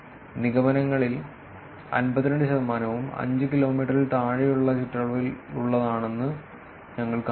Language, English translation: Malayalam, We find that 52 percent of the inferences in the radius smaller than 5 kilometers